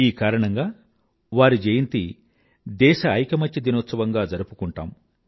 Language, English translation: Telugu, And that is why his birthday is celebrated as National Unity Day